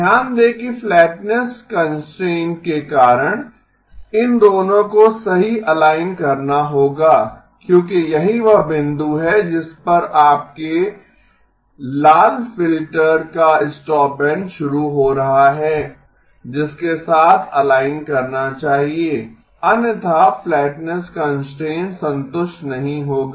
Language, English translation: Hindi, Notice that because of the flatness constraint, these two will have to align right because that is the point at which your stopband of the red filter is starting, that should align with otherwise the flatness constraint will not be satisfied